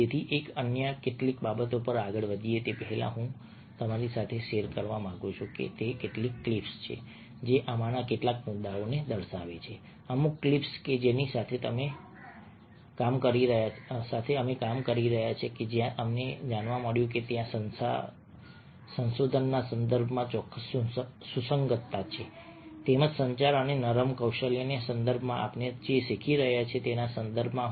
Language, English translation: Gujarati, so before a we move on to some of the other things, a what i would like to share with you are few clips which illustrate some of these points, a, certain clips which a we have been working with and where we have found that there are certain relevance: a in the context of research as well as in the context of what we are learning, in the context in communication and in soft skills